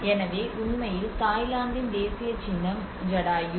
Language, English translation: Tamil, So, in fact, the national symbol of Thailand is actually Jatayu